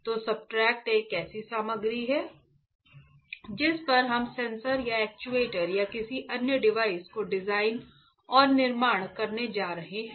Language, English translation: Hindi, So, substrate is a material on which we are going to design and fabricate the sensor or actuator or any other device